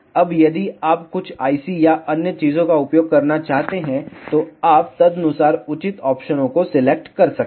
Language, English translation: Hindi, Now, if you want to use some I C or other things, you can accordingly select the proper options